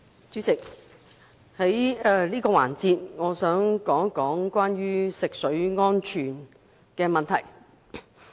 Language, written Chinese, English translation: Cantonese, 主席，我想在這個環節談談食水安全問題。, President I wish to discuss the issue of water safety in this debate session